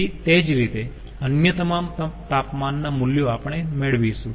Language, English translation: Gujarati, so similarly all the other temperature values we will get